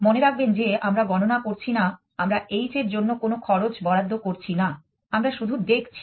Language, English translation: Bengali, Remember that we are not counting we are not allocating any h cost we are viewing